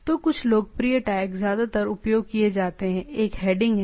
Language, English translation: Hindi, So, some popular tags are mostly used one is the heading